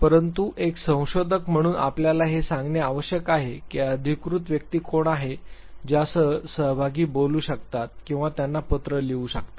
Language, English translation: Marathi, But as a researcher you have to disclose who is the authorized person whom the participants can talk to or write to